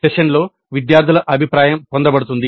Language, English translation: Telugu, The student feedback is obtained during the session